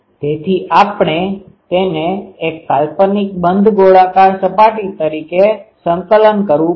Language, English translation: Gujarati, So, we will have to integrate it over a hypothetical closed spherical surface